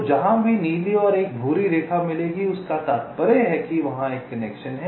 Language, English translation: Hindi, so wherever the blue and a brown line will meet, it implies that there is a via connection there